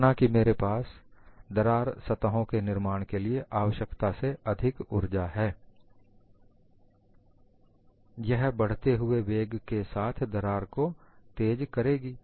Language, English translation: Hindi, Suppose I have more energy than what is required for the formation of crack surfaces, this would propel the crack at increasing velocities